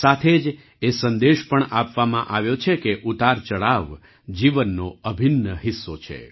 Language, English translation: Gujarati, Along with this, the message has also been conveyed that ups and downs are an integral part of life